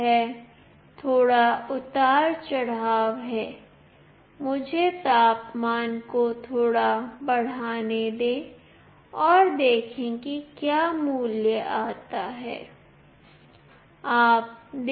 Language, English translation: Hindi, It is little bit fluctuating Let me increase the temperature a bit and see what value comes